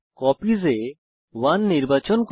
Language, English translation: Bengali, * In Copies, we will select 1